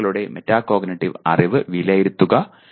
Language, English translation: Malayalam, Assess metacognitive knowledge of the learners